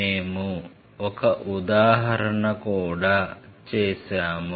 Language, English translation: Telugu, We did one example also